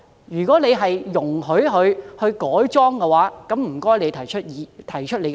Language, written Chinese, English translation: Cantonese, 如果政府容許業主改裝，請提出理據。, If the Government allows such conversion by the property owner please tell us the justifications